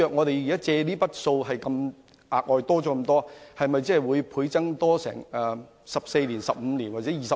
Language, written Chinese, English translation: Cantonese, 倘若債項再要大幅增加，還款期會否延長至14年、15年還是20年？, If the debt is substantially increased will the repayment period be extended for 14 15 or 20 years?